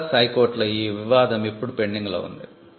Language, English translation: Telugu, dispute which is now pending before the high court at Madras